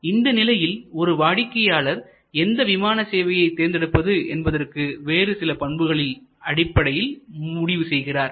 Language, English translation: Tamil, And at that stage, customers will make the decision will make the choice, which airlines to fly based on number of other attributes